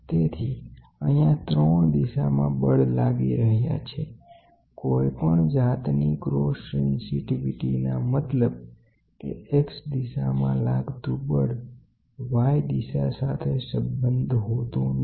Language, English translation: Gujarati, So, I here you have forces coming in 3 directions you the you can do it independently without having any cross sensitivity; that means, to say the effect of x direction force is not communicated to y